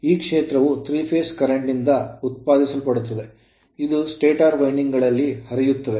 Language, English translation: Kannada, So, the field actually is produced by the 3 phase current which flow in the stator windings